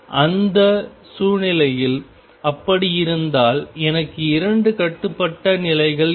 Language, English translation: Tamil, If that is the case in that situation I will have two bound states